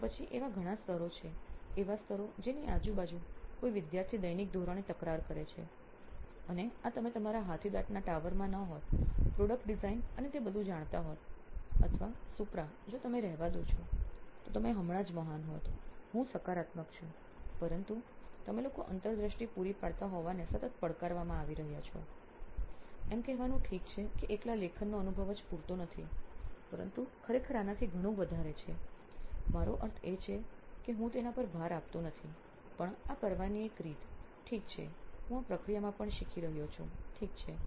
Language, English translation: Gujarati, So then there are several levels, layers around which a student is grappling with on a daily basis and this you could not have been in your ivory tower of you know product design and all that or if you let Supra be, you would have just been a great, I am positive, but with you guys supplying the insights is constantly being challenged to say okay writing experience alone is not enough, but actually there is far more to this, I get I mean not to keep punning on him but that is one way to do it, okay nice I am learning as well in this process, okay